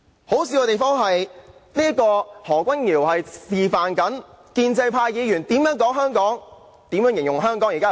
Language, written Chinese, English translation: Cantonese, 可笑的是，何君堯議員剛才示範了建制派議員如何形容香港有多好。, It is hilarious that Dr Junius HO just now demonstrated how Members of the pro - establishment camp painted a rosy picture of Hong Kong